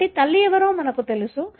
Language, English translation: Telugu, So, we know who is mother